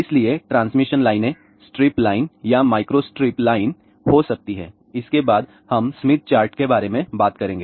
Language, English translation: Hindi, So, transmission lines could be strip line or microstrip line, after that we will talk about Smith chart